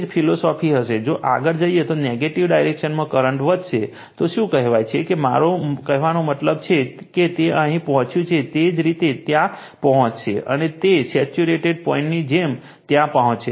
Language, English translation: Gujarati, Same philosophy will happen, if you further go on your what you call that your increase the current in the negative direction I mean this thing, the way it has reached here same way it will the right, and it will get as get a point there like your saturated point you will get there